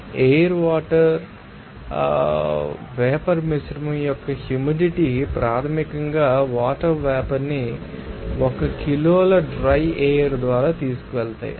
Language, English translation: Telugu, So, the humidity of an air water vapour mixture is basically the water vapor is carried by 1 kg of dry air